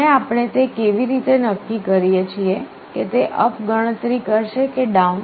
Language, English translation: Gujarati, And how we decide whether it is going to count up or down